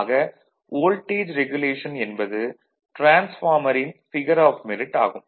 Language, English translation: Tamil, So, voltage regulation is a figure of merit of a transformer